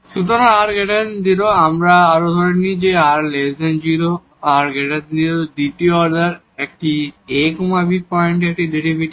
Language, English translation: Bengali, So, r is positive we further assume that r may be negative, r may be positive it is the second order a derivative at this ab points